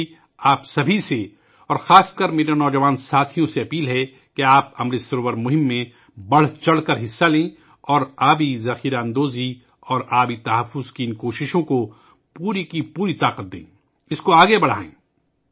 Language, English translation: Urdu, I urge all of you, especially my young friends, to actively participate in the Amrit Sarovar campaign and lend full strength to these efforts of water conservation & water storage and take them forward